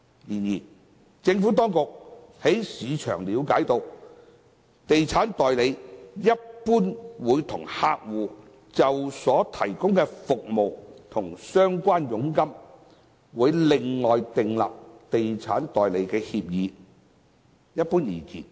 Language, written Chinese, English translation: Cantonese, 然而，政府當局從市場了解，地產代理一般會與客戶就所提供的服務和相關佣金，另外訂立地產代理協議。, However the Administration gathers from the market that in general estate agents will separately enter into an estate agency agreement with their clients on provision of services and relevant commission